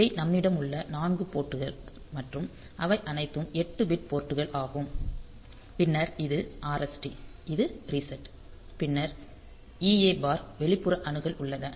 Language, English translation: Tamil, So, these are the 4 ports that we have and they are all 8 bit ports then we have got this RST which is the reset then there is e a bar external access